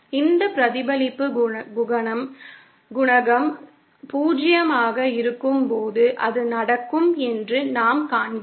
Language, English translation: Tamil, And we see that that will happen when this reflection coefficient is 0